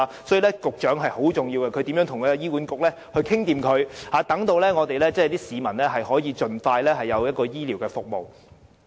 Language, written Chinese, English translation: Cantonese, 所以，局長職位很重要，由她負責與醫院管理局商討，市民便可以盡快得到需要的醫療服務。, So the post is very important because she must negotiate with the Hospital Authority to ensure that the public can receive the health care services they need